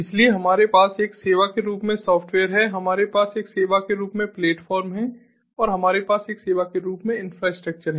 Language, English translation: Hindi, we have software as a service, we have platform as a service and we have the infrastructure as a service